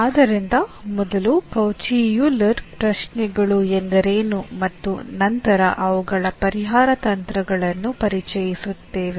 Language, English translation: Kannada, So, we will first introduce what are the Cauchy Euler questions and then their solution techniques